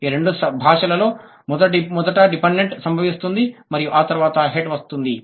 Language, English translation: Telugu, In both the languages, the dependent occurs first and the head comes later